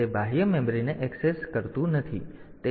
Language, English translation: Gujarati, So, it does not access the external memory